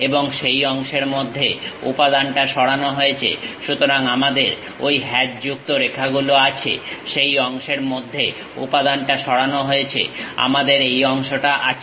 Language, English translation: Bengali, And material is removed within that portion, so we have those hatched lines; material is removed within that portion, we have this portion